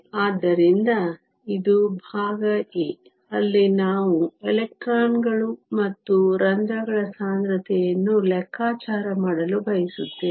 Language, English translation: Kannada, So, this is part a, where we want to calculate the concentration of electrons and holes